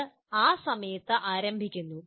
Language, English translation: Malayalam, It possibly starts at that time